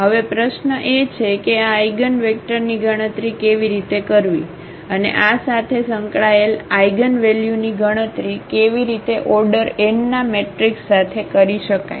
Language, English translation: Gujarati, Now, the natural question is how to compute this eigenvector and how to compute the eigenvalues associated with this with the matrix of order n